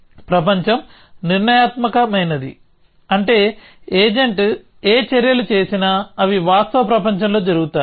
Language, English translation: Telugu, world is deterministic, which means that whatever actions agent does, they will happen in the real world